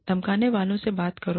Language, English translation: Hindi, Talk to the bully